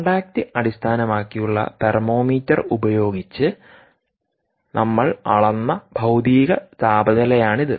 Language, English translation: Malayalam, this is physical temperature that we measured using the contact based thermometer